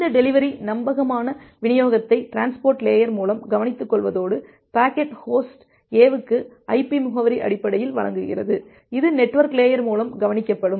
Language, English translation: Tamil, And this delivery the reliable delivery that will be taken care of the by the transport layer and the delivery of the packet to host A based on it is IP address that will be taken care of by the network layer